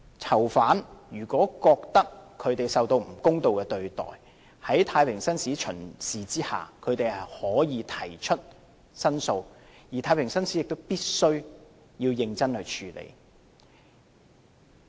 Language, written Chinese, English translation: Cantonese, 囚犯如果覺得受到不公道的對待，在太平紳士巡視期間，他們可以提出申訴，而太平紳士亦必須認真處理。, If a prisoner feels that he has been unfairly treated during the JP visits they can lodge complaints while the JPs also have to deal with them squarely